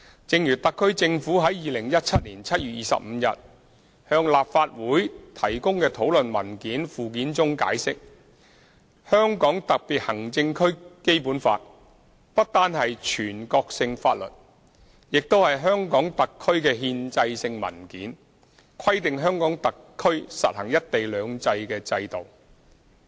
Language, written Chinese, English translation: Cantonese, 正如特區政府在2017年7月25日向立法會提供的討論文件附件中解釋，《香港特別行政區基本法》不單是全國性法律，也是香港特區的憲制性文件，規定香港特區實行"一國兩制"的制度。, As the HKSAR Government explained in the Annex to the discussion paper provided to the Legislative Council on 25 July 2017 the Basic Law of the Hong Kong Special Administrative Region is not only a national law but is also the constitutional document of HKSAR which provides for the implementation of one country two systems in HKSAR